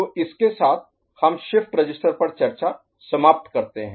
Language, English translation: Hindi, So, with this we conclude the discussion on shift register